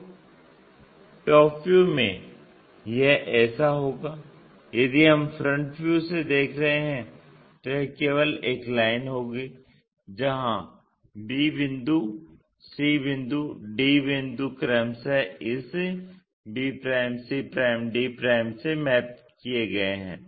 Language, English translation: Hindi, So, top view it will be like that if we are looking from front view it will be just a line where b point, c point, d points mapped to this b', c', d' respectively